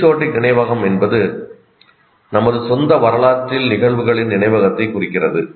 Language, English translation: Tamil, Episodic memory refers to the conscious memory of events in our own history